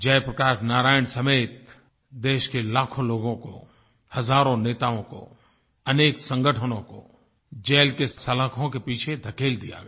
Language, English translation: Hindi, Lakhs of people along with Jai Prakash Narain, thousands of leaders, many organisations were put behind bars